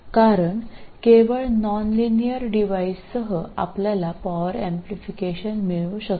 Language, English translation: Marathi, It's only with nonlinear devices that you need power amplification